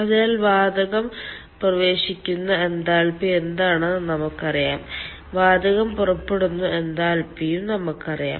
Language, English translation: Malayalam, so we know the enthalpy with which the gas is entering, we know the enthalpy with which the gas is leaving